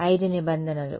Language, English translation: Telugu, 5 terms right